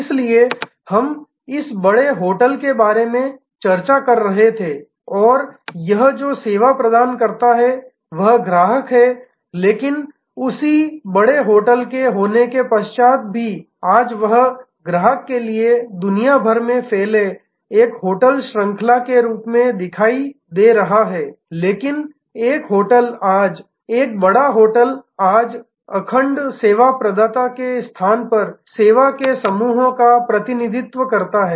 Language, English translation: Hindi, So, we were discussing about this large hotel and the service it provides to it is customers, but at the backend the same large hotel is today even though to the customer it is appearing to be one hotel chain spread across the world, but a hotel today, a large hotel today represents a constellation of service rather than a monolithic service provider